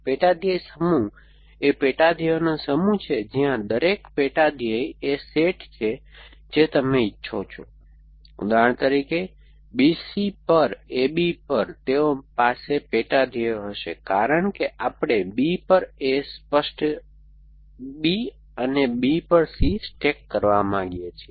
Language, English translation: Gujarati, Sub goal set is the set of sub goals where each sub goal is the set that you want, so for example for on A B on B C, they will have the sub goals as we want to do stack on B holding A clear B and on B C